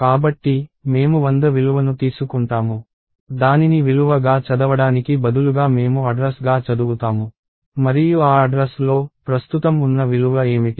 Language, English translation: Telugu, So, I take the value 100, instead of reading it as a value I read that as an address and in that address, what is the value that is present